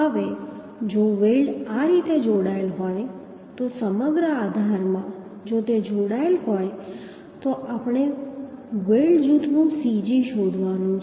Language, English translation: Gujarati, Now if weld is connected in this way so in the bracket throughout the bracket if it is connected then we have to find out the cg of the weld group that means cg of the weld group we have to find out